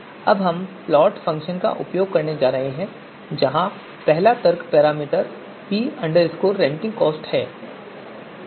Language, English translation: Hindi, Now we are going to use the plot function where first argument is the parameter p renting cost